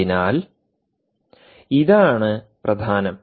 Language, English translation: Malayalam, so this is the key